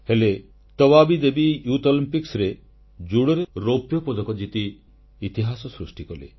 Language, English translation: Odia, But Tabaabi Devi created history by bagging the silver medal at the youth Olympics